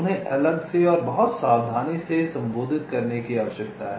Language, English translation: Hindi, they need to be addressed separately and very carefully